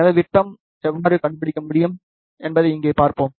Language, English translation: Tamil, So, let us see now, how we can find the diameter